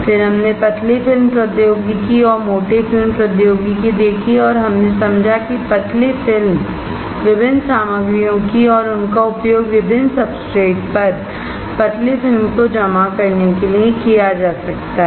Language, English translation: Hindi, Then we saw thin film technology and thick film technology and we understood that thin films of different materials, can be used to deposit thin film on the different substrate